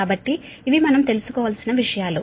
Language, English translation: Telugu, so these are the things we have to find out right